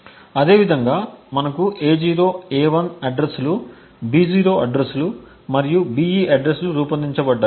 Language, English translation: Telugu, So similarly we have A0, A1 addresses being crafted B0 addresses and the BE addresses being crafted